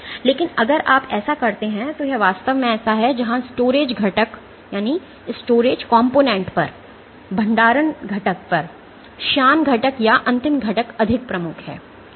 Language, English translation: Hindi, But if you keep So, this actually this is the So, where the viscous component or the last component is more prominent over the storage component